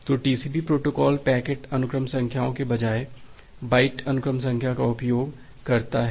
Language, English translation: Hindi, So, that TCP type of protocol it uses byte sequence number rather than the packet sequence numbers